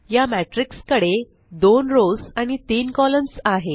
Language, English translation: Marathi, This matrix has 2 rows and 3 columns